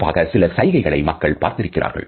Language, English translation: Tamil, Particularly, there are certain gestures which people have found